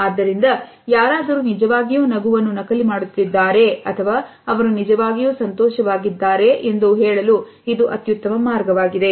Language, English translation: Kannada, So, this is the best way to tell if someone is actually faking a smile or if they are genuinely happy